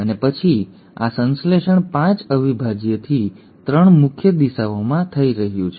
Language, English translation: Gujarati, And then this synthesis is happening in the 5 prime to the 3 prime direction